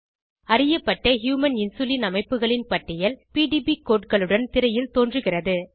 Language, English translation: Tamil, A list of known structures of Human Insulin along with the PDB codes appear on screen